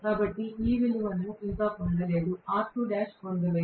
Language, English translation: Telugu, So, I am yet to get this value